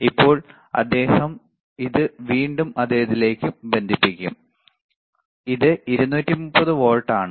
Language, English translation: Malayalam, Now he will again connect it to the same one, this is 230 volts, all right